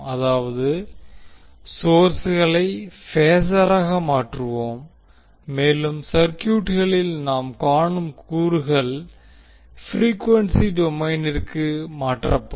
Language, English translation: Tamil, That means we will convert the sources into phasor and the elements which we see in the circuit will be converted into the frequency domain